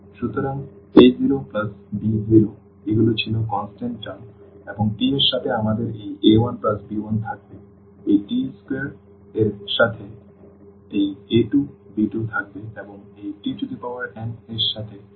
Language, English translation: Bengali, So, a 0 plus b 0 these were the constant terms and with the t we have this a 1 plus this b 1 with this t square we will have this a 2 plus b 2 and with this t n we will have a n plus b n